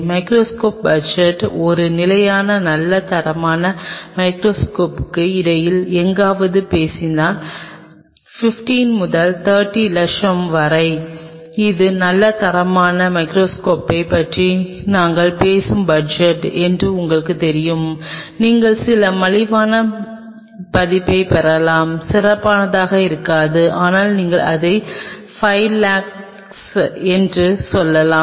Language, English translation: Tamil, Microscope budget goes anywhere between a standard good quality microscope if we talk about somewhere between, you know say 15 to 30 lakhs this is the kind of budget we talk about good quality microscope, you can get some of the cheaper version unless I mean they may not be the best, but you can work out with them within a range of say 5 lakhs